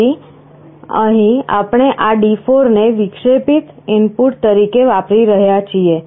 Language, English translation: Gujarati, So, here we are using this D4 as an interrupt input